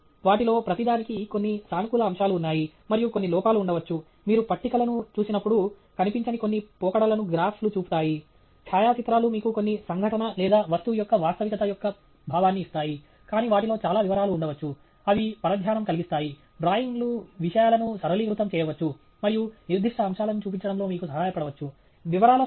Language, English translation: Telugu, And therefore, you should be… and each of them has certain positive aspects to it and may be certain short comings; graphs show certain trends which are not visible when you see tables; photographs give you a sense of realism of some event or an object, but they may have too many details which can be distracting; drawings may simplify things and may help you highlight specific aspects